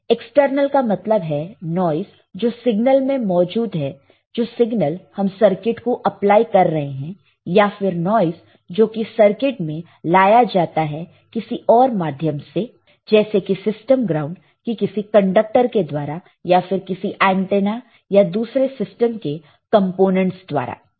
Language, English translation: Hindi, External refers to noise present in the signal being applied to the circuit or to the noise introduced into the circuit by another means, such as conducted on a system ground or received one of them many antennas from the traces and components in the system